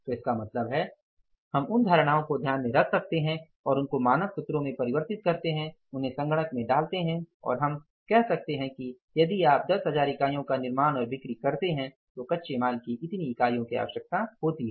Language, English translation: Hindi, So, it means we can have those assumptions in mind, convert that into the standard formulas, put them into the computers and we can say that if you manufacture and sell 10,000 units this much unit of raw materials are required, if you reduce it to 9,000 this much units of raw material are required and if you reduce it to 6,000 this much units of raw materials are required